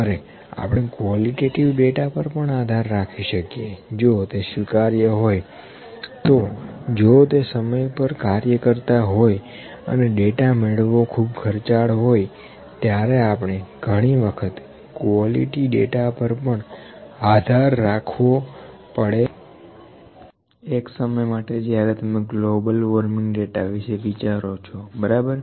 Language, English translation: Gujarati, We can even rely upon the qualitative data if that is acceptable if that that can be worked on if the time to get the data is too long then also be sometime we have to rely upon the quality data, for instance, the for you think about the data for the global warming, ok